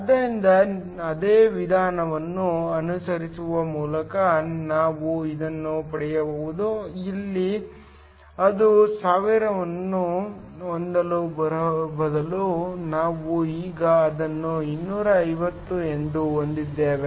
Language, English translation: Kannada, So, this we can get by following the same procedure where instead of having it as thousand, we now have it as 250